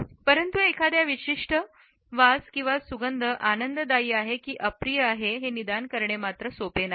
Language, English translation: Marathi, But it is not easy to diagnose a particular scent as being pleasant or unpleasant one